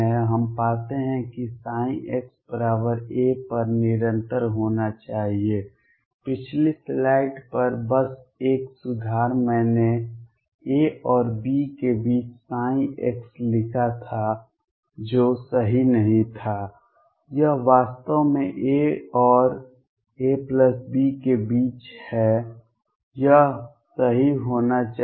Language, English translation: Hindi, We get that psi at x equals a should be continuous, just a correction on previous slide I had written psi x between a and b that was not correct, it is actually psi between a and a plus b this should be correct